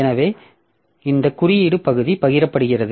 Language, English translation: Tamil, So, so this code part is shared